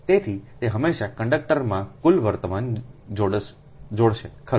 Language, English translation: Gujarati, so it will always link the total current in the conductor right